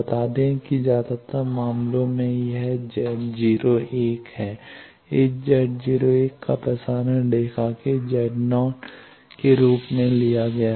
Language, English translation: Hindi, Let us say that is Z naught 1 in most of the cases this Z naught 1 is taken as Z naught of the transmission line